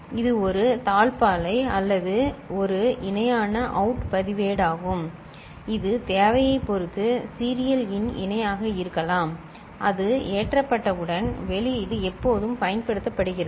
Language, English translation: Tamil, And this is just a latch or a parallel out register which could be serial in parallel in depending on the requirement once it is loaded it is not I mean, the output is always being used